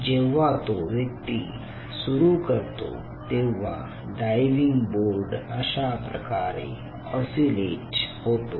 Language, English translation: Marathi, so once this person start doing it, this diving board starts to, you know, oscillate like this